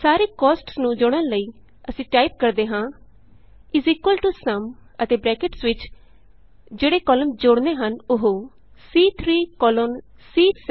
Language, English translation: Punjabi, In order to add all the costs, well typeis equal to SUM and within braces the range of columns to be added,that is,C3 colon C7